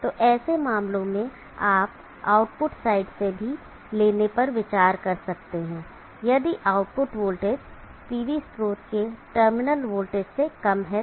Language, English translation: Hindi, That in such a case one may also consider taking from the output side if the output voltage is lower than the terminal, the terminals of the PV source